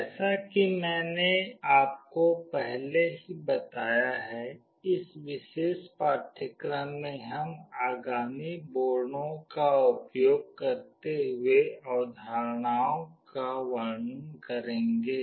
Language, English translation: Hindi, As I have already told you, in this particular course we shall be demonstrating the concepts using the following boards